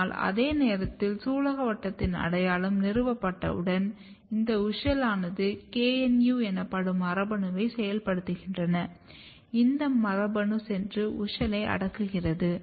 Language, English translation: Tamil, But at the same time at the later stage when the identity of carpel is already established this WUSCHEL activate gene called KNU and this gene basically goes and repress the WUSCHEL and this is important factor